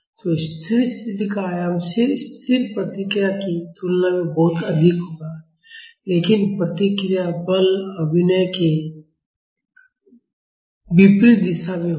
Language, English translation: Hindi, So, the steady state amplitude will be much higher than the static response; but the response will be in opposite direction of the force acting